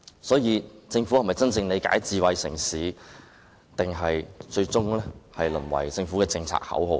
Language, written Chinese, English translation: Cantonese, 所以，政府是否真正了解智慧城市，還是最終淪為政策口號呢？, Does the Government really have a good understanding of smart city or has smart city been reduced to a policy slogan in the end?